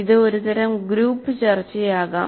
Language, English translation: Malayalam, It can be some kind of a group discussion